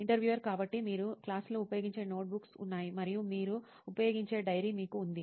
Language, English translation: Telugu, So you have notebooks that you use in class and you have a diary that you use